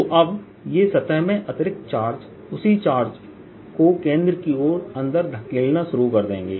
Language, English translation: Hindi, so now this charge, extra charge in the surface will start pushing in the same charge inside, pushing towards center